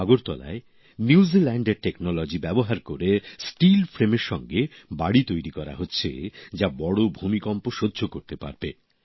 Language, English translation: Bengali, In Agartala, using technology from New Zealand, houses that can withstand major earthquakes are being made with steel frame